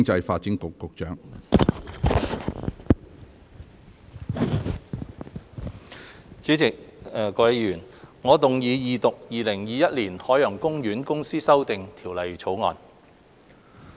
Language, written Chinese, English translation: Cantonese, 主席、各位議員，我動議二讀《2021年海洋公園公司條例草案》。, President Members I move the Second Reading of the Ocean Park Corporation Amendment Bill 2021 the Bill